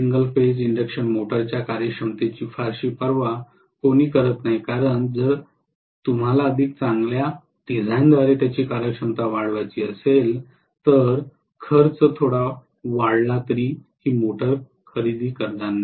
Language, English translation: Marathi, Nobody cares too much about the efficiency of the single phase induction motor because if you want to improve their efficiency by making a better design, even if the cost increases slightly nobody is going to buy your motor